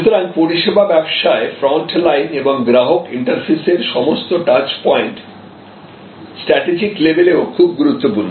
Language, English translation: Bengali, So, the service business, the front line and the customer interface all the touch points are very important even at a strategic level